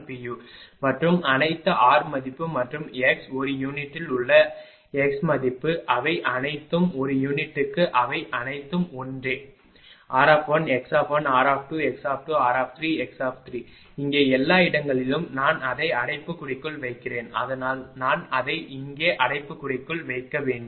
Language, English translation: Tamil, 951207 per unit and all are r all r value and x value in per unit they are all per unit they are same all r 1, x 1, r 2, x 2, r 3, x 3, here everywhere thing I am putting it bracket so I should put it here in bracket right